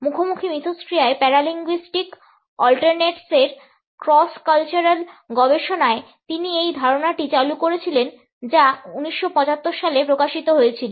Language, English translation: Bengali, He had introduced this idea in cross cultural study of paralinguistic ‘alternates’ in Face to Face Interaction which was published in 1975